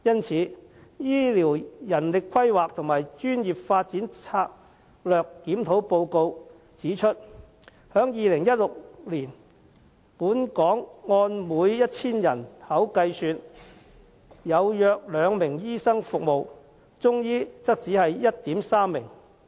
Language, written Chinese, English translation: Cantonese, 此外，《醫療人力規劃和專業發展策略檢討報告》指出，在2016年，本港每 1,000 名人口，有約2名醫生服務，中醫則有 1.3 名。, Furthermore according to the Report of Strategic Review on Healthcare Manpower Planning and Professional Development in every 1 000 people in Hong Kong there were two western medicine doctors and only 1.3 Chinese medicine practitioners in 2016